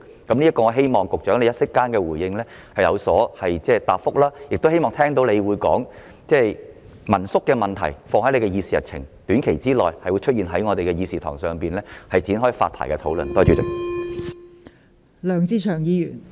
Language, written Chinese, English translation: Cantonese, 我希望局長稍後可以就此作出回應，亦希望他會說道會把民宿問題納入他的議事日程，讓民宿的發牌問題在短時間內在立法會的議事堂上展開討論。, I hope the Secretary can give a reply on this later on and tell us that he will put the issue of hostels on his agenda so that discussions on the licensing of home - stay lodgings can commence in the Chamber of the Legislative Council in the near future